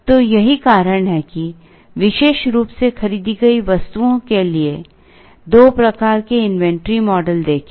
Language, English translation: Hindi, So, that is the reason why look at two types of inventory models particularly for bought out items